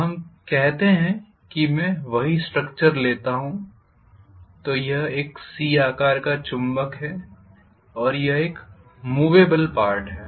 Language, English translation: Hindi, So let us say I take the same structure, so this is a C shaped magnet and I am going to have one more movable part